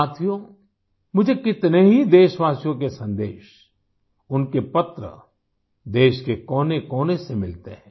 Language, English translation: Hindi, Friends, I get messages and letters from countless countrymen spanning every corner of the country